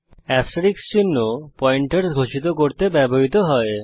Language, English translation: Bengali, Asterisk sign is used to declare a pointer